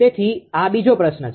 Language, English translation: Gujarati, So, this is second question